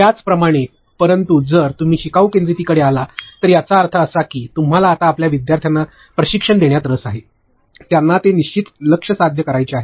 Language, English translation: Marathi, Similarly, but if you come to learner centricity, that is now you are interested in training your learners, that is it they have to achieve a certain target